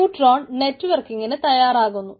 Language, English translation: Malayalam, neutron configures the networking aspects